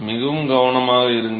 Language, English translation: Tamil, Be very careful